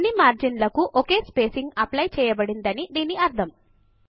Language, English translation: Telugu, This means that the same spacing is applied to all the margins